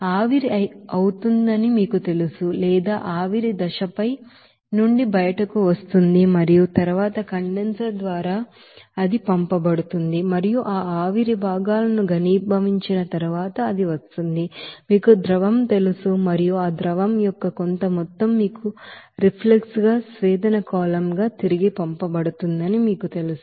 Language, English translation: Telugu, Whereas from the top portions, you know that evaporates or you can say vapor phase it will be coming out from the top and then through the condenser it will be sent and so that after condensing that vapor components it will be coming you know liquid and some amount of that liquid will be you know sent back to the you know distillation column as a reflux